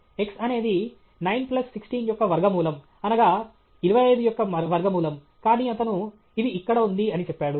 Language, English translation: Telugu, x is root of 9 plus 16, 25; he says here it is